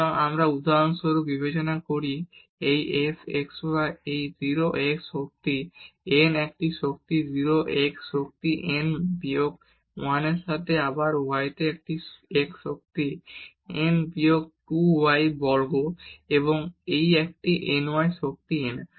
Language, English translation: Bengali, So, we consider for example, this f x y is equal to a 0 x power n a 0 x power n minus 1 into y again here x power n minus 2 y square and so on a n y power n